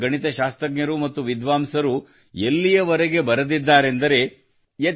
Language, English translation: Kannada, Mathematicians and scholars of India have even written that